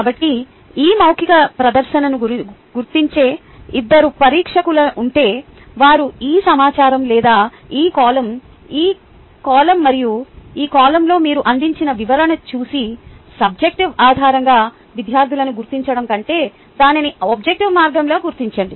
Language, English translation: Telugu, so suppose, if there are two examiners marking this oral presentation, they will go through this information or the description which you have provided in this column, this column and this column, and mark it in an objective way, rather than marking the students based on subjective bias